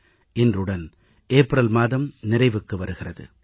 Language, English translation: Tamil, Today is the last day of month of April